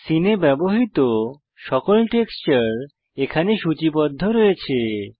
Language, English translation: Bengali, All textures used in the Scene are listed here